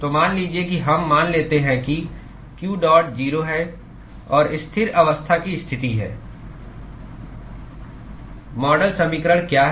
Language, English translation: Hindi, So, supposing we assume that q dot is 0 and steady state condition what is the model equation